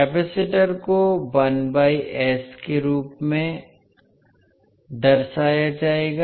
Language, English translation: Hindi, Capacitor will be represented as 1 by s